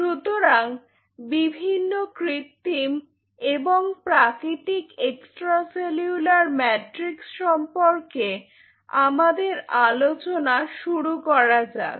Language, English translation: Bengali, Let us start our discussion with this different synthetic and natural extracellular matrix